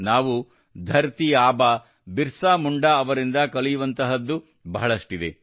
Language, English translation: Kannada, There is so much that we can learn from Dharti Aba Birsa Munda